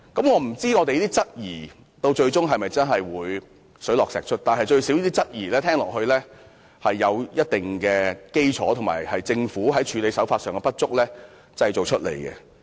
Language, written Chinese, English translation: Cantonese, 我不知道我們的質疑最終能否水落石出，但這些質疑最少有一定基礎，而且是因為政府處理手法的不足而產生的。, I do not know whether our queries can eventually bring the whole matter to light but at least all our queries are well justified resulting from the inadequate handling of the matter by the Government